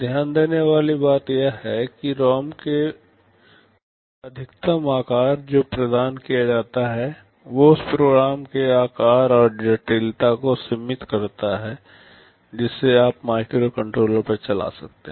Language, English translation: Hindi, The point to note is that the maximum size of the ROM that is provided limits the size and complexity of the program that you can run on the microcontroller